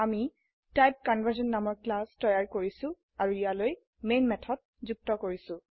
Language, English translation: Assamese, I have created a class TypeConversion and added the main method to it